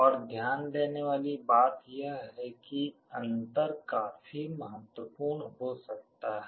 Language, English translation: Hindi, And the other point to note is that the difference can be quite significant